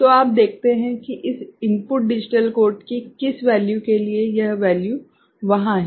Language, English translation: Hindi, So, you see for what value of this input digital code, this value is there